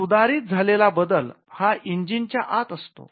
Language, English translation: Marathi, The improvement rests inside the engine